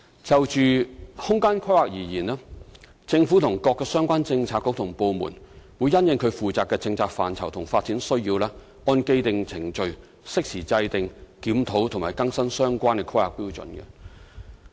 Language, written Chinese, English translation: Cantonese, 就空間規劃而言，政府與各相關政策局和部門，會因應其負責的政策範疇及發展需要，按既定程序，適時制訂、檢討及更新相關的《香港規劃標準與準則》。, On the front of space planning the Government together with the related Policy Bureaux and departments will timely formulate review and update the Hong Kong Planning Standards and Guidelines HKPSG in accordance with the established procedure their corresponding policy area and development needs